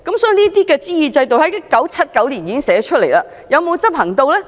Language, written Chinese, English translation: Cantonese, 這類諮議制度在1979年已經寫下來，但有否執行？, This kind of consultative system was already spelt out in 1979 but has it been put in place?